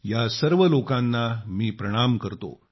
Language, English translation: Marathi, I salute all of them